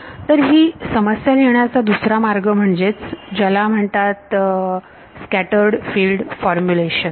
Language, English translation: Marathi, So, the other way of formulating this problem is what is called the scattered field formulation ok